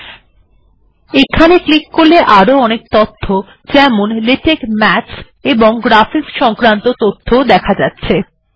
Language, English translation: Bengali, You can also click this, you can see lots of things, for example, you can see latex maths and graphics